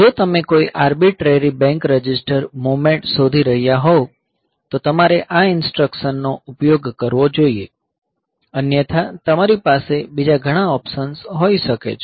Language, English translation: Gujarati, So, if you are looking for a any arbitrary bank register movement; so you should use this instruction, otherwise you can have many other options